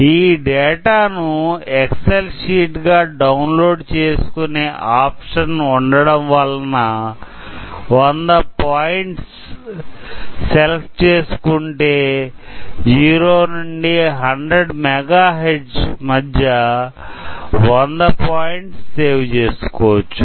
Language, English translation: Telugu, Since we have the option to export this data as excel, so, if we give 100 points, we can save 100 values between 1 0 to 1 mega Hertz